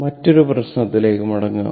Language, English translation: Malayalam, So, come back to another your problem